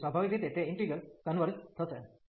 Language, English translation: Gujarati, So, naturally that integral will converge